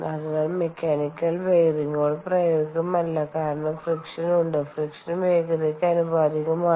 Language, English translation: Malayalam, ok, so bearing, the mechanical bearings are not practical because there is friction and the friction is proportional to speed